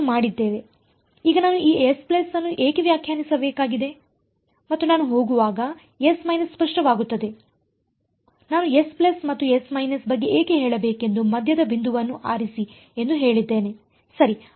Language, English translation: Kannada, Now, why I need to define this S plus and S minus will become clear as I go I may as well just have said pick the midpoint why to tell you about S plus and S minus ok